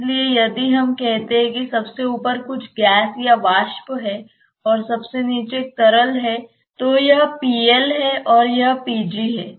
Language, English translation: Hindi, So, if we say that at the top there is some gas or vapour, and at the bottom there is a liquid then let us say this is p liquid and let us say this is p gas